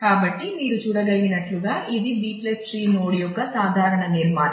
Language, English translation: Telugu, So, as you can see this is this was a general structure of the B + tree node